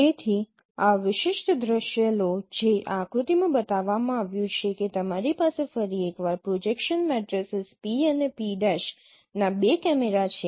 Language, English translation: Gujarati, So take this particular scenario which has been shown in this diagram that you have once again two cameras of projection matrices P and P prime